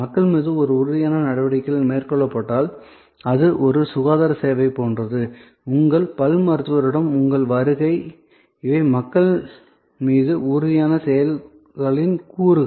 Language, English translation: Tamil, So, if tangible actions are performed on people, then it could be like a health care service, your visit to your dentist, these are elements of tangible actions on people